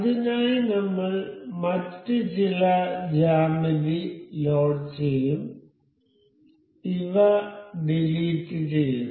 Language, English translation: Malayalam, So, for that we will load some other geometry let us just remove these I will insert component